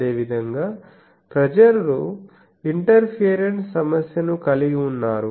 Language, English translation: Telugu, Likewise people have done also the interference problem